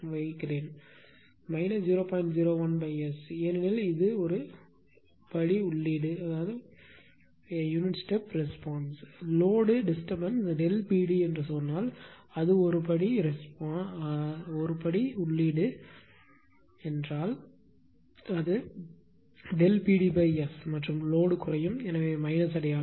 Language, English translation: Tamil, 01 upon S because for a step input; you know if the load disturbance say delta P d and if it is a step input then it will be delta P d upon S and load decrease; so, minus sign